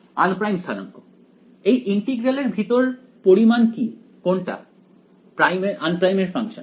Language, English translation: Bengali, Un primed coordinates; inside the integral which is the quantity which is the function of un primed